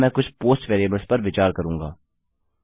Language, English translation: Hindi, Ill take into account some POST variables now